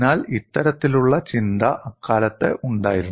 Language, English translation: Malayalam, So, this kind of thinking was there at that time